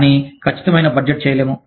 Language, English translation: Telugu, But, the accurate budgeting, cannot be done